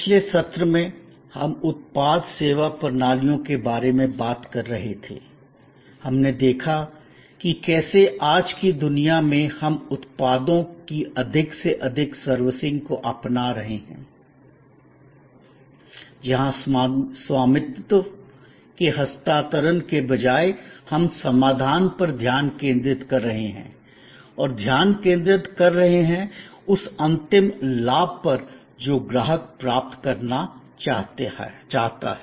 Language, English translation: Hindi, In the last secession, we were talking about product service systems, we looked that how in today’s world we are adopting more and more servicing or servitizing of products, where instead of transfer of ownership, we are focusing on solution and we are loose focusing on the ultimate benefit that the customer wants to derive